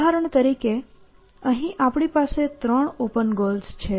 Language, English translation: Gujarati, In this example, I have only three open goals